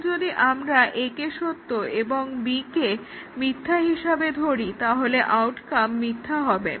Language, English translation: Bengali, Now, if we keep A as true and B as false, the outcome is false